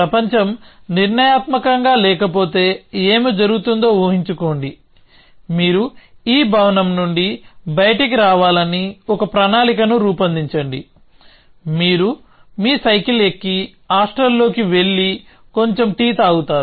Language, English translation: Telugu, Just imagine that what would happen, if the world was not deterministic, then you create a plan that you will get out of this building, you will board your bicycle and go off to the hostel and have some tea